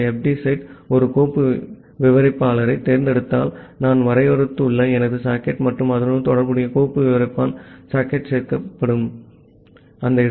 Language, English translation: Tamil, So, if this fd set selects a file descriptor say, my socket that I have defined and the corresponding the file descriptor, which where the socket is getting added